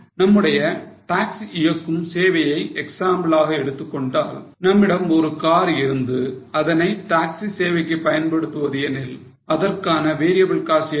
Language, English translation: Tamil, If you take our example of operating a taxi service, we have one car, we are operating a taxi service, what will be the variable cost